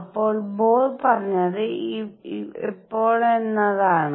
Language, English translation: Malayalam, So, what Bohr said is that when